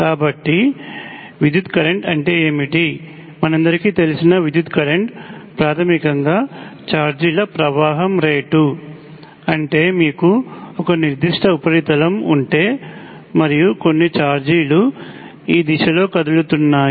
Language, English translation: Telugu, So what is an electric current, electric current as you well know is basically the rate of flow of charges that is if you have a certain surface and some charges have moving in this direction